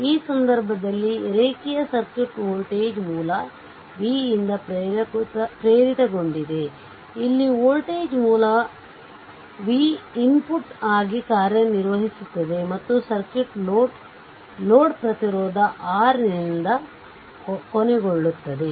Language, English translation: Kannada, So, in this case the linear circuit is excited by voltage source v, I told you here in voltage source v which serves as the input and the circuit is a terminated by load resistance R